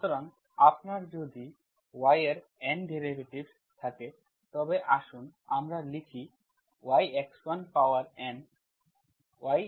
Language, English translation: Bengali, So if you have N derivatives of y means y, let us write y x1 power N